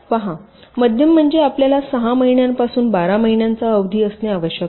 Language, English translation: Marathi, see medium means you need ah turnaround time up six months to twelve months